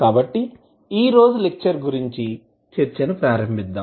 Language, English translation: Telugu, So, let us start the discussion of today's lecture